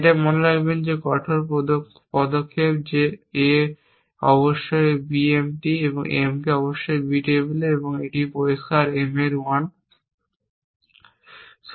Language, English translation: Bengali, It will remember the strict action that A must B M T and M must b on the table and 1 of this clear M